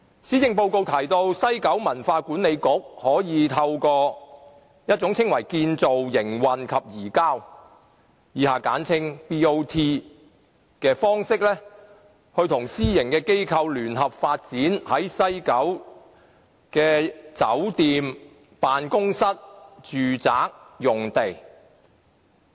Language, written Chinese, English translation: Cantonese, 施政報告提到西九文化區管理局可以透過稱為"建造、營運及移交"方式，跟私營機構聯合發展西九的酒店、辦公室和住宅用地。, The Government proposes in the Policy Address that the West Kowloon Cultural District WKCD Authority may develop the hotelofficeresidential facilities in WKCD jointly with the private sector through a Build - Operate - Transfer BOT arrangement